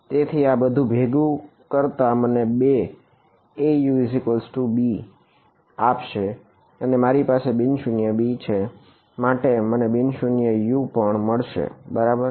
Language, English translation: Gujarati, So, all of this put together is going to give me A U is equal to b and I have a non zero b therefore, I will get a non zero u also right